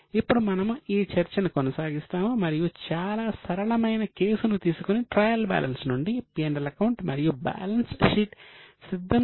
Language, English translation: Telugu, Now we will continue this discussion and try to prepare, take a very simple case and prepare P&L and balance sheet from trial balance